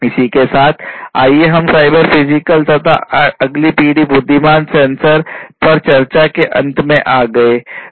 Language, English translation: Hindi, So, with this we come to an end of cyber physical systems and next generation intelligent sensors, discussions on them